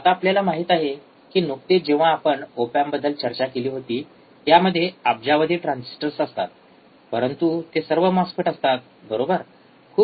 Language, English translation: Marathi, Now we also know that recently when we talk about op amps, it has billions of transistors, but all are MOSFETs, right